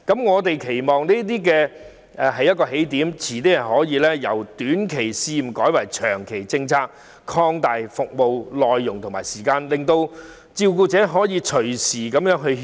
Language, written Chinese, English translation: Cantonese, 我們期望以此為起點，將來可以把短期試驗計劃納入長期政策，並擴大服務內容和加長服務時間，方便照顧者隨時入內歇息。, We hope the Government will take this as a starting point and incorporate such a short - term pilot scheme into the long - term policy in the future with service contents enriched and service hours extended so that carers can drop in any time to take a break